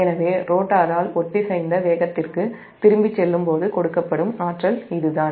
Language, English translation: Tamil, so the energy given up by the rotor as it decelerates back to synchronous speed, it is